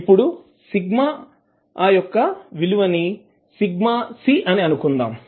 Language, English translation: Telugu, Let's assume that, value of sigma is sigma c